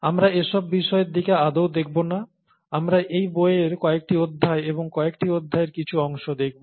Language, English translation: Bengali, We will not be looking at all parts of it; we’ll be looking at some chapters and some sections of some chapters in this book